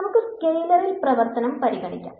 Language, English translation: Malayalam, So, let us consider scalar function